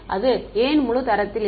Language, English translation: Tamil, And why it is not full rank